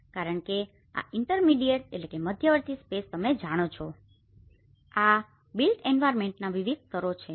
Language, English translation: Gujarati, Because these intermediate spaces you know, these are the various layers of the built environment